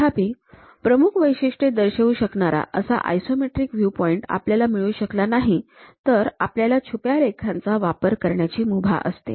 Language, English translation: Marathi, However, if an isometric viewpoint cannot be found that clearly depicts all the major futures; then we are permitted to use hidden lines